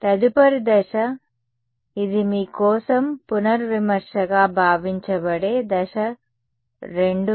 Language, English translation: Telugu, next step this just this supposed to be a revision for you step 2 would be testing